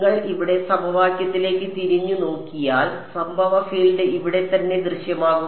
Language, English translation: Malayalam, If you look back over here at are equation, the incident field appeared over here right